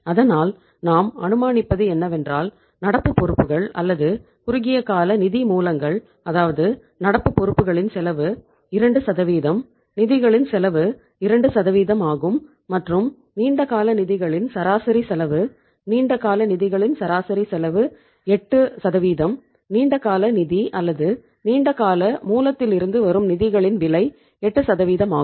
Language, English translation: Tamil, So we are assuming that current liabilities or the short term sources of the funds that is current liabilities are having the cost of 2% that is the cost of funds is 2% and the average cost of the long term funds, average cost of the long term funds is 8%